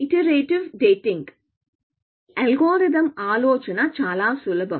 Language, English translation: Telugu, The algorithm idea is very simple